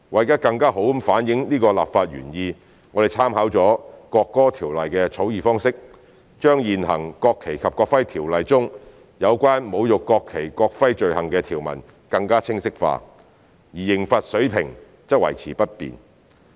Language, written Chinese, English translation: Cantonese, 為更好反映此立法原意，我們參考了《國歌條例》的草擬方式，將現行《條例》中有關侮辱國旗國徽罪行的條文更清晰化，而刑罰水平則維持不變。, In order to better reflect this legislative intent we have made clearer the original provisions concerning the offense of desecrating the national flag and national emblem by making reference to the National Anthem Ordinance while the level of penalty remains unchanged